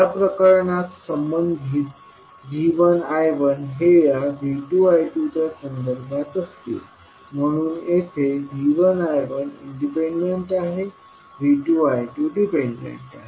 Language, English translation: Marathi, In this case the relationship will be V 2 I 2 with respect to V 1 I 1, so here V 1 I 1 is independent, V 2 I 2 is dependent